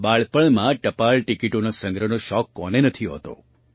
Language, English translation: Gujarati, Who does not have the hobby of collecting postage stamps in childhood